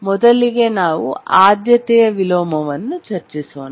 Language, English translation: Kannada, First, let's look at priority inversion